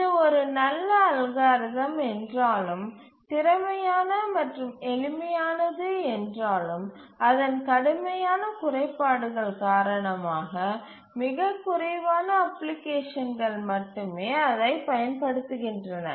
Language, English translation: Tamil, If it is such a good algorithm, it is efficient, simple, why is it that none of the applications, I mean very few applications use it